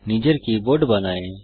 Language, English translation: Bengali, Create your own keyboard